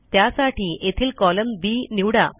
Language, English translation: Marathi, To do that select the column B here